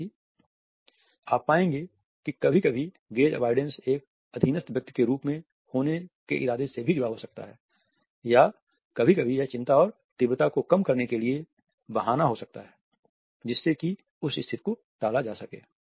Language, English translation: Hindi, However, you would find that sometimes gaze avoidance may also be associated with the intention of coming across as a more subordinate person or sometimes it may be in excuse to reduce the anxiety and intensity so, as to defuse a situation